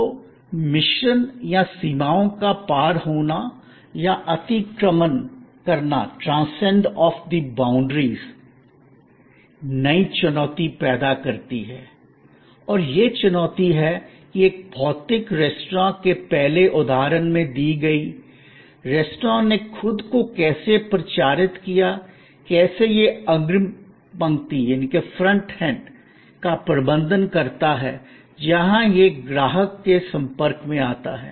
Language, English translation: Hindi, So, this mix or transience of the boundaries, create new challenge and that challenge is that in the earlier example of a physical restaurant, how the restaurant publicized itself, how it manage the front end, where it comes in contact with the customer